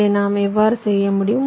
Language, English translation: Tamil, so how we can do this